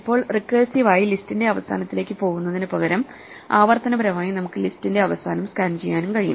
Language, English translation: Malayalam, Now, instead of recursively going to the end of the list we can also scan the end of the list till the end iteratively